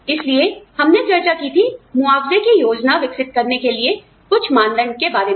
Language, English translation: Hindi, So, we discussed, some criteria for developing, a plan of compensation